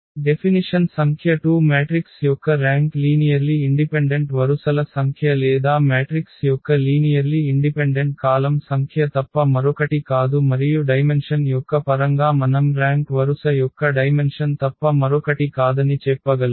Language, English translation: Telugu, The definition number 2 the rank of a matrix is nothing but the number of linearly independent rows or number of linearly independent columns of the matrix and we in the terms of the dimension we can also say that the rank is nothing but the dimension of the row space or the dimension of the column space of A